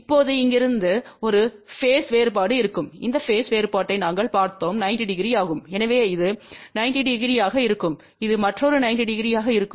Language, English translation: Tamil, Now there will be a phase difference from here to here we have seen that this phase difference is 90 degree, so this will be 90 degree and this will be another 90 degree